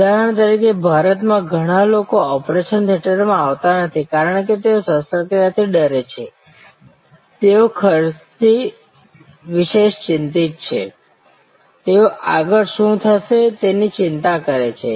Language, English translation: Gujarati, For example, that in India lot of people do not come to the operation theater, because they are scared of operations, they are worried about the expenses, they are worried about what will happen next